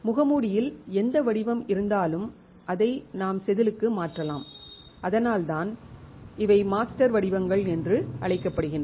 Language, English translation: Tamil, Whatever pattern is there on the mask we can transfer it onto the wafer and which is why these are called master patterns